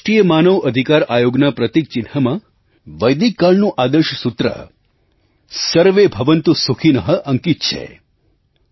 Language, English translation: Gujarati, In the emblem of our National Human Rights Commission, the ideal mantra harking back to Vedic period "SarveBhavantuSukhinah" is inscribed